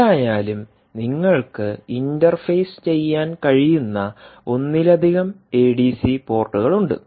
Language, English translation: Malayalam, anyway, you have multiple adc ports which you can basically interface